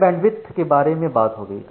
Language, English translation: Hindi, So, that is regarding bandwidth